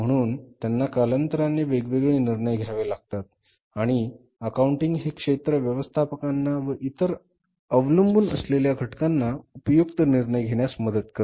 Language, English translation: Marathi, So, they are different decisions which they have to take over a period of time and accounting is a discipline which helps managers and different stakeholders of the businesses to take very relevant and useful decisions